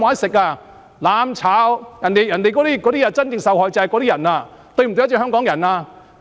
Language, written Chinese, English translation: Cantonese, 說"攬炒"，真正受害的卻是這些市民，這是否對得起香港人？, These people will be the real victims of the notion of burning together . Can this do justice to Hongkongers?